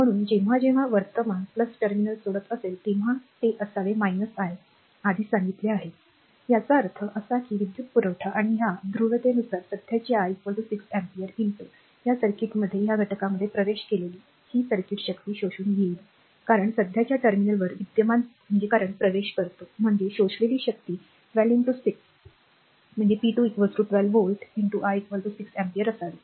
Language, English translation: Marathi, So, whenever current is leaving plus terminal it should be minus I told you earlier; that means, power supplied right and this current I is equal to 6 ampere according to this polarity, entering into this circuit into this element right therefore, it this circuit will absorbed power because current entering at the positive terminal; that means, power absorbed should be 12 into 6 p 2 is equal to 12 volt into I is equal to 6 ampere